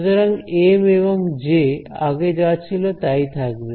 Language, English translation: Bengali, So, M and J are the same as before